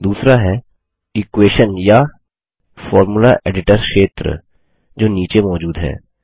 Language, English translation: Hindi, The second is the equation or the Formula Editor area at the bottom